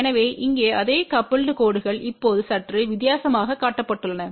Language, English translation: Tamil, So, here the same coupled lines are shown slightly different way now